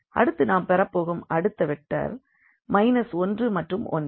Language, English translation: Tamil, So, here we will plot this vector here 1 and 1